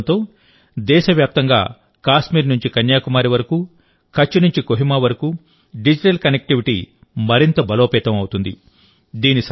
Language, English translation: Telugu, With this launching, from Kashmir to Kanyakumari and from Kutch to Kohima, in the whole country, digital connectivity will be further strengthened